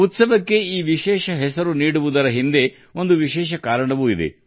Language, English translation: Kannada, There is also a reason behind giving this special name to the festival